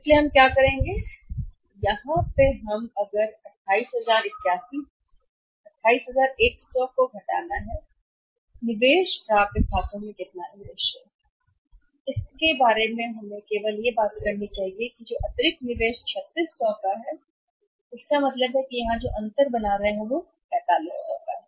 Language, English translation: Hindi, So, what we will do here is we will have to subtract that if we subtract that from 28100 and then this in our investment is how much investment in the accounts receivables is only we should talk about the additional investment that is 3600, so this is 3600 so it means the difference we are making here is 4500